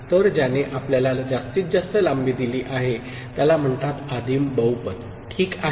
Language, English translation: Marathi, So, the one that gives us the maximal length are called, is called primitive polynomial, ok